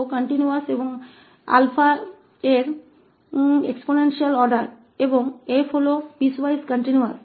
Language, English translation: Hindi, So, suppose this f is continuous and is of exponential order alpha and f prime is piecewise continuous